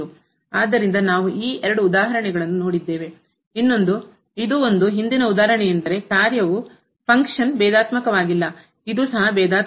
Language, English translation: Kannada, So, we have seen these two examples the other one was this one, the previous example where the function was not differentiable, this is also not differentiable